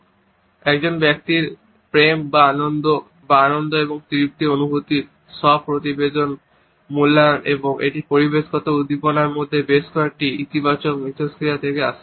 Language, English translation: Bengali, It is an individual’s, self reported evaluation of feelings of love or joy or pleasure and contentment and it comes from several positive interactions within environmental stimuli